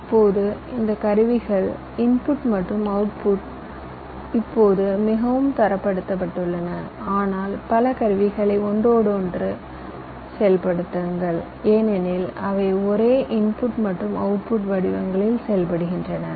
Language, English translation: Tamil, now, one thing, ah, the inputs and the outputs of this tools are now fairly standardized so that you can you can say, inter operate multiple number of tools because they work on the same input and output formats